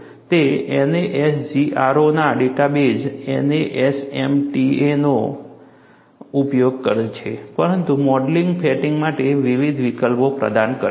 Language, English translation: Gujarati, It uses the data base NASMAT of NASGRO, but offers, different options for modeling fatigue